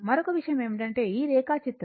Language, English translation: Telugu, Another thing is that this diagram